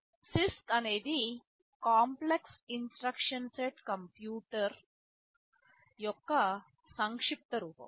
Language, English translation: Telugu, CISC is the short form for Complex Instruction Set Computer